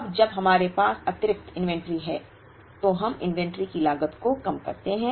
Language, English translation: Hindi, Now, when we have excess inventory, we incur inventory cost